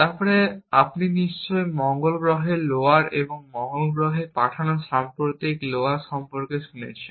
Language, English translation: Bengali, Then, you must have heard about mars lowers and the more recent lowers that have been sent to mars